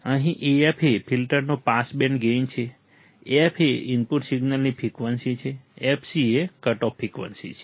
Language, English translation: Gujarati, Here AF is the pass band gain of the filter, f is the frequency of the input signal, fc is the cutoff frequency